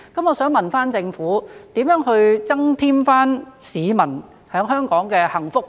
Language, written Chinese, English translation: Cantonese, 我想問政府，如何增添市民在香港的幸福感？, May I ask the Government how to enhance the sense of well - being among people in Hong Kong?